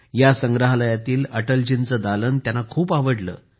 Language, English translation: Marathi, She liked Atal ji's gallery very much in this museum